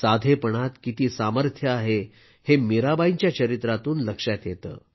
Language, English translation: Marathi, We come to know from the lifetime of Mirabai how much strength there is in simplicity and modesty